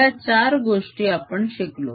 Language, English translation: Marathi, we have learnt these four things